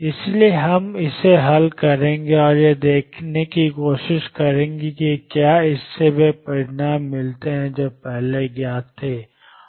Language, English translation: Hindi, So, we will solve this and try to see if this gives the results that were known earlier